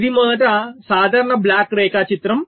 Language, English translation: Telugu, this is the general block diagram